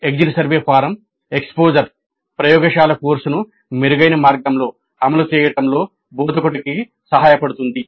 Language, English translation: Telugu, Exposer to the exit survey form upfront may help the instructor in implementing the laboratory course in a better way